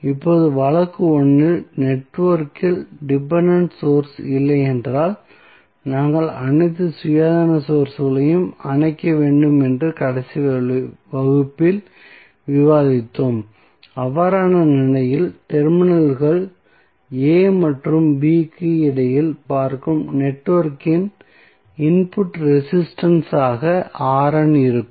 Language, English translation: Tamil, So, now, in case 1 in the last class we discuss if the network has no dependence source, then what we have to do we have to turn off all the independent sources and in that case R n would be the input resistance of the network looking between the terminals A and B